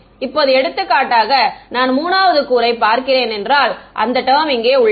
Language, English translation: Tamil, Now for example, I look at the 3rd component right so, this term over here